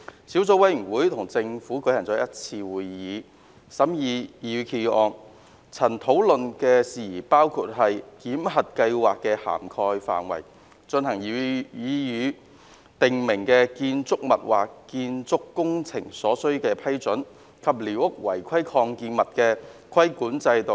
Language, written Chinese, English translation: Cantonese, 小組委員會與政府當局舉行了一次會議，以審議擬議決議案，曾討論的事宜包括檢核計劃的涵蓋範圍、進行擬議訂明建築物或建築工程所需的批准，以及寮屋違規擴建物的規管制度。, The Subcommittee has held one meeting with the Administration to scrutinize the proposed resolution discussing issues such as the coverage of the validation scheme approvals required for carrying out the proposed prescribed building or building works and the regulation of unauthorized extensions of squatter structures